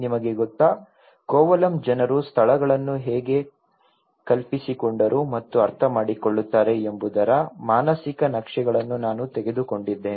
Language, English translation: Kannada, You know, Kovalam I have taken the mental maps of how people imagined and understand the places